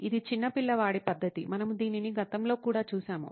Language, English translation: Telugu, It’s a very kid like method, we looked at it in the past as well